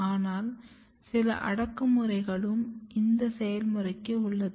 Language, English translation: Tamil, But there is another there are some repressions of this process